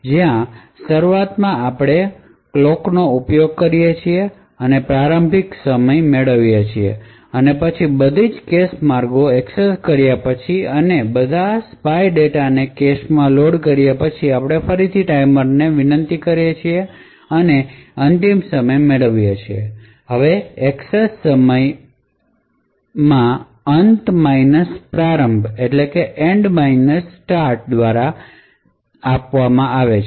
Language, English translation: Gujarati, So the timing is done by this function, where initially we invoke a clock source and get the starting time and then after accessing all the cache ways and loading all the spy data into the cache then we invoke the timer again and get the end time, now the access time is given by end start